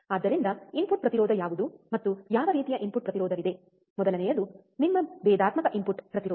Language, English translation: Kannada, So, what is input impedance and what kind of input impedance are there, first one is your differential input impedance